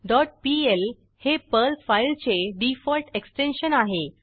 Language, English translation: Marathi, dot pl is the default extension of a Perl file